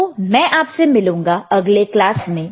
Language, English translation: Hindi, So, I look forward to see you in the next class, right